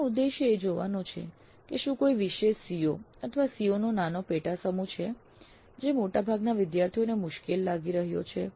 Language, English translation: Gujarati, The idea of this is to see if there is any particular COO or a small set of subset of COs which are proving to be difficult for a majority of the students